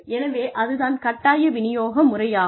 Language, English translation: Tamil, So, that is a forced distribution